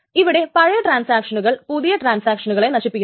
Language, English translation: Malayalam, Is that the older transactions kill newer ones